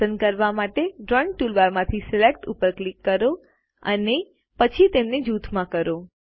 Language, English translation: Gujarati, Lets click Select from the Drawing toolbar to select and then group them